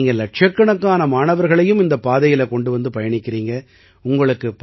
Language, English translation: Tamil, And today you are taking millions of children on that path